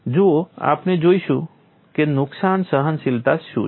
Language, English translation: Gujarati, See we look at what is damage tolerance